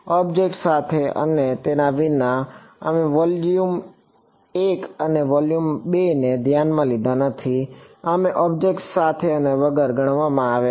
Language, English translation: Gujarati, Beside with and without the object right, we did not consider a volume one and then volume two, we consider considered with and without object